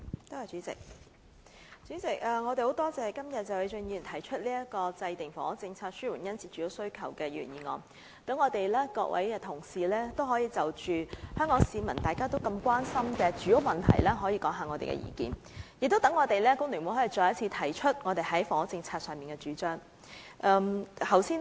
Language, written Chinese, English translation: Cantonese, 代理主席，我們感謝謝偉俊議員今天提出"制訂房屋政策紓緩殷切住屋需求"的議案，讓各位同事可以就香港市民都關心的住屋問題發表意見，也讓工聯會可以再次提出我們在房屋政策方面的主張。, Deputy President we thank Mr Paul TSE for moving the motion on Formulating a housing policy to alleviate the keen housing demand today so that fellow colleagues may share views on the housing problem which is a prime concern of people of Hong Kong and The Hong Kong Federation of Trade Unions FTU can once again put forward our proposals on housing policy